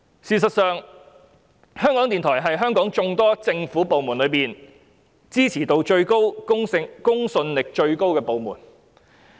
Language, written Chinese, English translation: Cantonese, "事實上，在香港眾多政府部門中，港台是支持度和公信力最高的部門。, As a matter of fact among the various government departments in Hong Kong RTHK is the department with the highest support rating and credibility